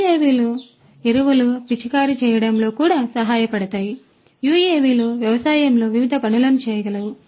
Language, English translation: Telugu, So, UAVs could also help in spraying fertilizers like this UAVs can do number of different things in agriculture